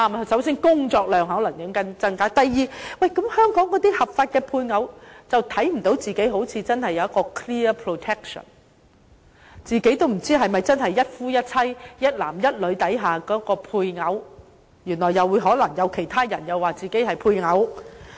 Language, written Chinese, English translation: Cantonese, 首先工作量可能增加；第二，香港的合法配偶似乎看不到自己有 clear protection， 自己也不知道是否真的是一夫一妻、一男一女制度下的配偶，可能其他人會說自己是配偶。, First the workload may increase; second the legal spouses in Hong Kong may not see clear protection for themselves as they do not even know if they are a spouse under the system of monogamy between one man and one woman for other people may claim to be a spouse too